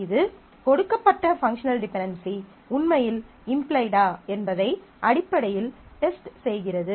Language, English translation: Tamil, That is basically testing for whether the given functional dependency is actually implied